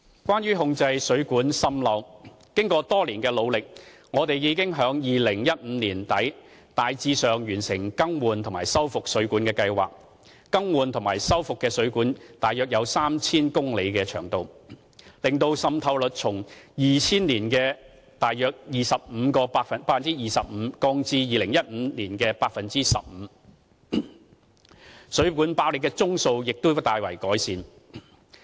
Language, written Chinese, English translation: Cantonese, 關於控制水管滲漏，經過多年的努力，我們已於2015年年底大致完成"更換及修復水管計劃"，更換及修復的水管的長度約有 3,000 公里，使滲漏率從2000年約 25% 降至2015年約 15%； 水管爆裂的宗數亦已大為減少。, As for controlling water mains leakage after years of hard work we largely completed the Replacement and Rehabilitation Programme of Water Mains at the end of 2015 and some 3 000 km of water mains had been replaced or rehabilitated causing the leakage rate to decrease from about 25 % in 2000 to about 15 % in 2015 . In addition the number of cases of water main bursts has also decreased considerably